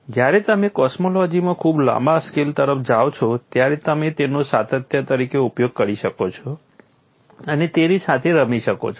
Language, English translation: Gujarati, When you are looking at a very long scale in cosmology, you can use it as a continuum and play with it